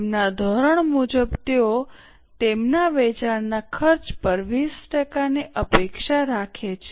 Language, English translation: Gujarati, As per their norm, they expect 20% on their cost of sales